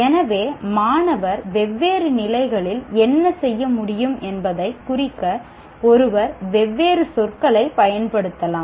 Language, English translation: Tamil, So one can use different words to use, to represent what these students should be able to do at different levels